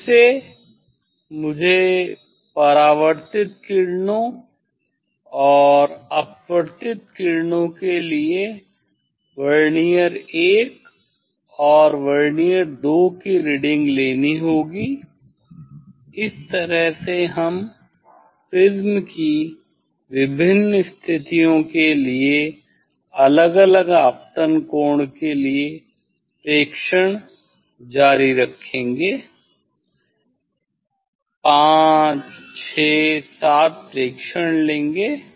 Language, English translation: Hindi, again, I have to take for Vernier I and Vernier II reading for reflected rays and refracted rays that way we will continue this 5 6 7 observation for different position of the prism means for different incident angle I will stop here